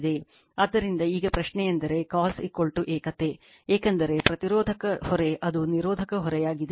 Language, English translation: Kannada, So, now question is that cos theta is equal to unity, because resistive load right it is a resistive load